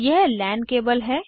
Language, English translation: Hindi, This is a LAN cable